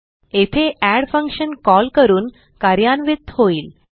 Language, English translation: Marathi, The add function is called and then executed